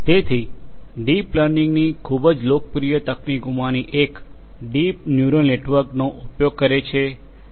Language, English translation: Gujarati, So, one of the very popular techniques in deep learning is to use deep neural network